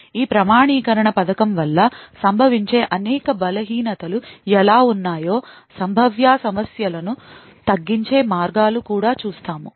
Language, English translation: Telugu, We will also see how there are several weaknesses which can occur due to this authentication scheme and also ways to actually mitigate these potential problems, thank you